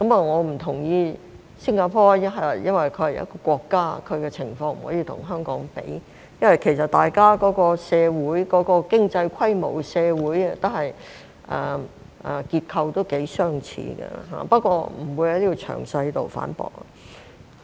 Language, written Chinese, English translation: Cantonese, 我不同意的是，新加坡是一個國家，其情況不能跟香港比較，即使大家的經濟規模、社會結構頗相似，但我不會在此作詳細的反駁。, I disagree that the situation of Singapore which is a country is comparable to that of Hong Kong even though the size of our economy and social structure are quite similar . Yet I am not going to refute this in detail here